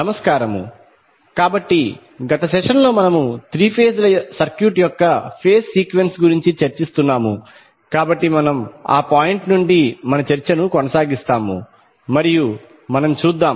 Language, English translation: Telugu, Namaskar, so in the last session we were discussing about the phase sequence of three phase circuit, so we will continue our discussion from that point onwards and let us see